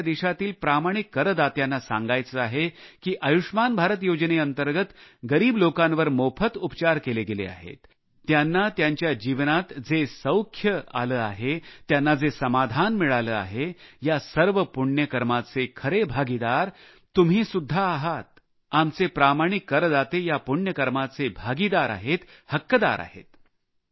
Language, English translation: Marathi, And I want to tell the honest Tax payer of our country that the credit for happiness and satisfaction derived by the beneficiaries treated free under the 'Ayushman Bharat'scheme makes you the rightful stakeholder of the benefic deed, our honest tax payer also deserves the Punya, the fruit of this altruistic deed